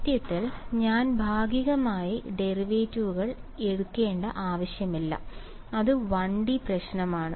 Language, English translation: Malayalam, In fact, this is there is no need for me to write partial derivates it is 1 D problem